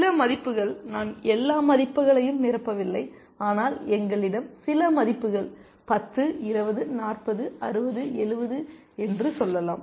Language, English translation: Tamil, Some values, I am not filling all the values, but let us say we have some values 10, 20, 40, 60, 70